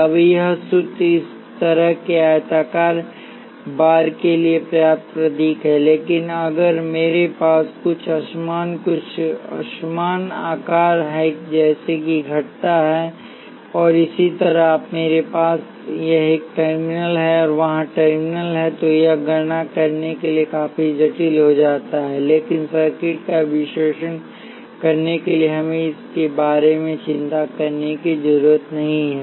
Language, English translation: Hindi, Now, this formula is symbol enough for a rectangular bar like this, but if I had something uneven some uneven shape like this with curves and so on and I have a terminal here and the terminal there, it becomes quite complicated to carry out this calculation